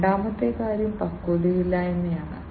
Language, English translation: Malayalam, The second thing is the immaturity